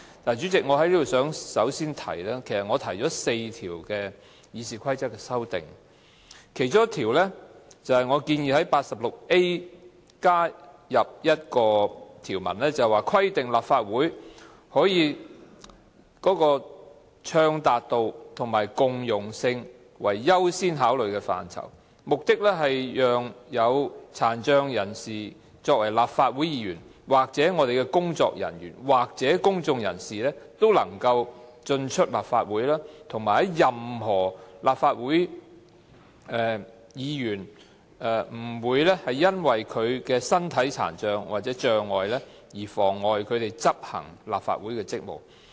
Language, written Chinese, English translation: Cantonese, 主席，我首先想說，我提出4項有關《議事規則》的修訂，其中一項是加入第 86A 條，以規定立法會以暢達度和共融性為優先考慮範疇，目的是讓殘障立法會議員、工作人員和公眾人士都能夠進出立法會，以及任何立法會議員不會因為其身體殘障而妨礙他們執行立法會職務。, President first of all I want to say that I have proposed four amendments to RoP one of which is to add RoP 86A to require the Legislative Council to use accessibility and inclusiveness as a priority consideration so that disabled Legislative Council Members staff members and members of the public can access the Legislative Council Complex and that no Members will be prevented from executing their Legislative Council duties due to their physical disability